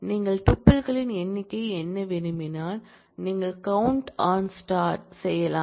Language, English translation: Tamil, If you just want to count the number of tuples you can do count on star